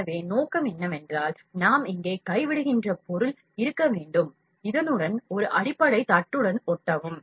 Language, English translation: Tamil, So, a purpose is that, the material that we drop here should stick with a base plate with this